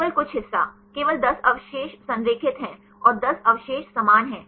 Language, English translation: Hindi, Only some part; only 10 residues are aligned and 10 residues are same